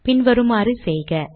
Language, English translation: Tamil, Do this as follows